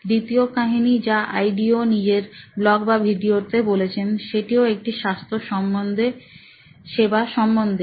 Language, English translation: Bengali, The second story that Ideo shared also on either their blog or their video is a case of again a health care case